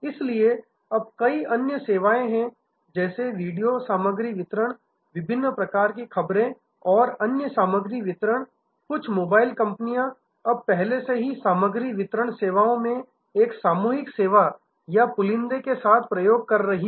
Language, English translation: Hindi, So, now a days there are many other services like video content delivery, different kind of news and other content delivery, some of the mobile companies are now already experimenting with a bundling in content delivery services